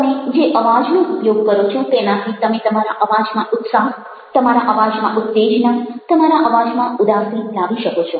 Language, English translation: Gujarati, you are bringing to your voice excitement into your voice, sadness into your voice